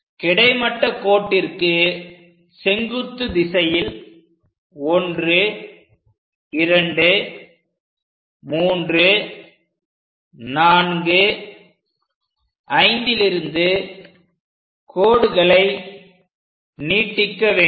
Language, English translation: Tamil, Once that is done we draw parallel lines to these points 1 2 3 4 5 6